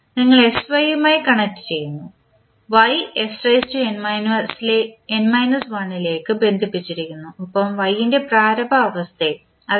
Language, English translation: Malayalam, You are connecting with sy is connected with y with s to the power n minus1 plus the initial condition for y that is y t naught by s